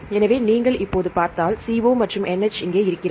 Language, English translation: Tamil, So, if you see now CO is here and this NH is here right